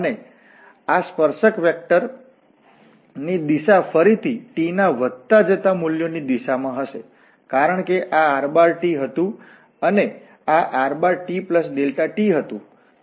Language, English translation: Gujarati, And the direction of this tangent vector will be again in the direction of increasing values of t, because this was rt and this was rt plus delta t